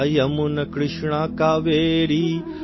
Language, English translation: Hindi, Ganga, Yamuna, Krishna, Kaveri,